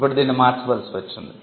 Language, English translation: Telugu, Now this had to be changed